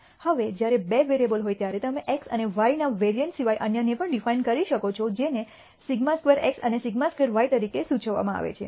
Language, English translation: Gujarati, Now when there are two variables you can also de ne other than the variance of x and y which are denoted as sigma squared x and sigma squared y